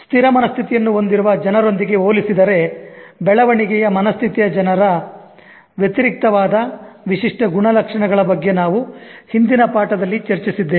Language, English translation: Kannada, We also discussed in the previous lesson about the distinguishing traits of growth mindset people in comparison and contrast with those people who have fixed mindset